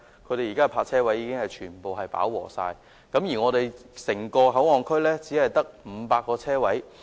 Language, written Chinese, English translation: Cantonese, 現時東涌區的泊車位已經全部飽和，而整個口岸區卻只有500個泊車位。, Parking spaces in Tung Chung are fully utilized and there will only be 500 parking spaces in HKBCF